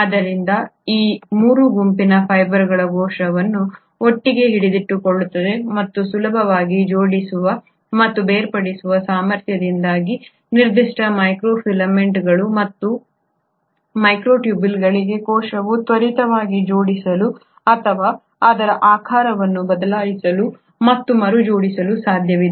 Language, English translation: Kannada, So these 3 group of fibres kind of hold the cell together and because of their ability to easily assemble and dissemble, particularly for microfilaments and microtubules, it is possible for a cell to quickly assemble or change its shape and reassemble